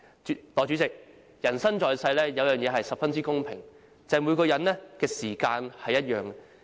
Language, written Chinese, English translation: Cantonese, 代理主席，人生在世，有一件事是十分公平的，就是每人的時間也相同。, Deputy President one thing that is fair in everyones life is the time each of us has